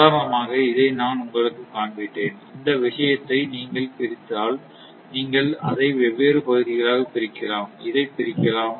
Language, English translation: Tamil, For example, this one I just showed you, may be if this thing you divide, you just divide it different region and this is, it can be divided